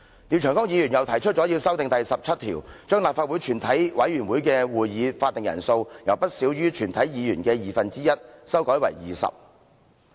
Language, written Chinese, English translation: Cantonese, 廖長江議員又提出修訂《議事規則》第17條，將立法會全體委員會會議的法定人數，由不少於全體議員的二分之一，修改為20人。, Mr Martin LIAO has also proposed an amendment to RoP 17 to amend the quorum for the proceedings of the committee of the whole Council from no less than one half of all Members to 20 Members